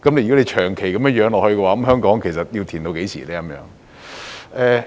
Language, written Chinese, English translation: Cantonese, 如果長期如此，香港其實要"填氹"到何時呢？, If the situation persists in the long run when can Hong Kong cease making up for the losses?